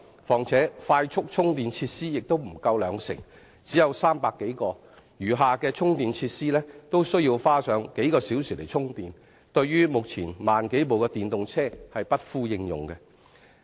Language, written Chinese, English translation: Cantonese, 況且，當中快速充電設施不足兩成，只有300多個；其餘的充電設施均需要車主花上數小時充電，對於目前1萬多輛電動車而言是不敷應用的。, What is more only some 300 of them or less than 2 % of all charging facilities are quick chargers . Car owners who use the rest of the charging facilities must spend several hours on charging their vehicles . In brief the existing facilities are simply unable to cope with the needs of the 10 000 or so EVs in Hong Kong